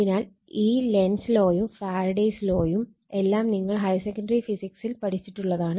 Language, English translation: Malayalam, So, this is Lenz’s law and this Faradays all these things we have studied in your higher secondary physics right